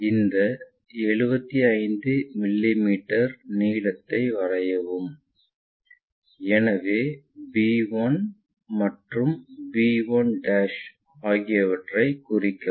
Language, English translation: Tamil, So, from a draw 75 mm with an angle of 40 degrees both the lines we know so, point we will locate b 1 and b 1'